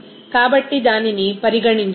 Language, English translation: Telugu, So, that should be considered